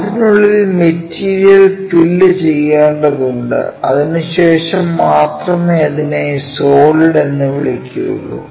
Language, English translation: Malayalam, So, the material has to be filled inside that then only we will call it as solid